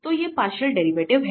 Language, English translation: Hindi, So, these are the partial derivatives